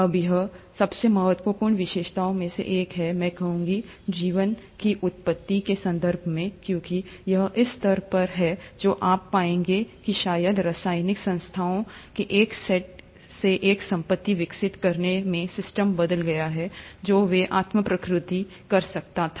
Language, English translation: Hindi, Now this is one of the most critical features, I would say, in terms of the origin of life, because it is at this stage you would find, that probably the system changed from just a set of chemical entities into developing a property where they could self replicate